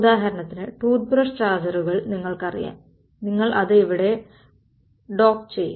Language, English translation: Malayalam, So, for example, these you know toothbrush chargers and all, you would block it over there